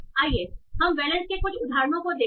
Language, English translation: Hindi, So let's see some example of the valence